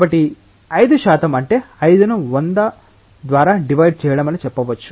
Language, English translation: Telugu, So, one may work it out with say 5 percent means 5 divided by 100